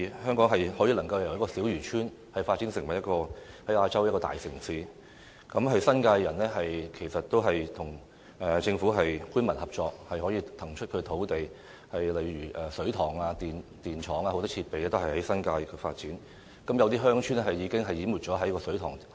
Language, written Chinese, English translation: Cantonese, 香港能夠由小漁村發展成為亞洲大城市，其實是新界人士與政府官民合作，騰出他們的土地，讓水塘、電廠等眾多設施能夠在新界發展，有些鄉村已經淹沒在水塘下。, Hong Kongs transformation from a tiny fishing village to a metropolis in Asia indeed owes itself to those New Territories residents who cooperated with the Government and vacated their lands to make way for the construction of various infrastructure facilities such as reservoirs and power plants in the New Territories . Some villages are now submerged by reservoirs